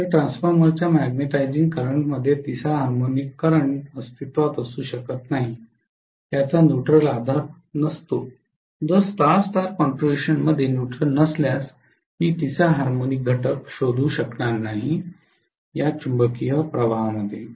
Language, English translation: Marathi, So the third harmonic current cannot exist in a magnetizing current of the transformer which does not have its neutral grounded, if the neutral is not grounded especially in a Star Star configuration, I am not going to be able to find the third harmonic component in the magnetizing current